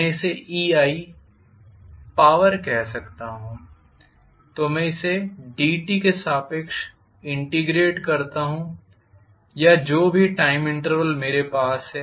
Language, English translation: Hindi, I may call this as ei is the power, so if I integrate it over dt or whatever is the time interval that I have